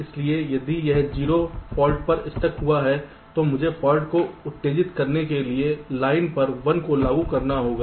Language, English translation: Hindi, so if it is a stuck at zero fault, then i have to apply a one to this line to excite the fault, like i am giving an example here